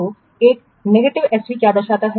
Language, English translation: Hindi, So what a negative SB represents